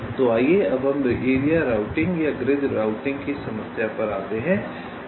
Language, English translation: Hindi, ok, so let us now come to the problem of area routing or grid routing